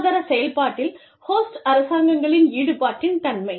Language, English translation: Tamil, Nature of host governments involvement, in the economic process